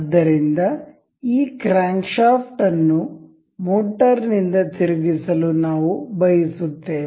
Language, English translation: Kannada, So, we will we want this crankshaft to be rotated by motor